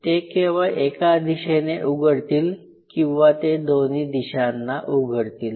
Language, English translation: Marathi, They may only open in one direction or they may not they may have both directionalities